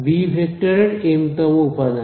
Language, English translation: Bengali, The mth elements of the vector b